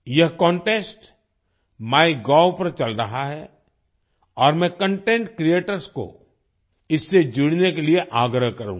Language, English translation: Hindi, This contest is running on MyGov and I would urge content creators to join it